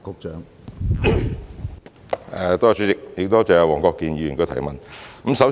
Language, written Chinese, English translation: Cantonese, 主席，多謝黃國健議員的補充質詢。, President I thank Mr WONG Kwok - kin for his supplementary question